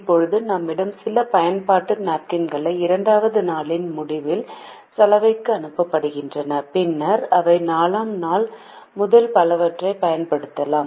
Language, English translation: Tamil, napkins are sent to the laundry at the end of the second day, then they can be used from day four onwards and so on